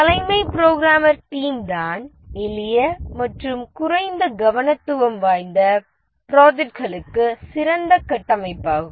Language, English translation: Tamil, The chief programmer is the best structure for simple low difficulty projects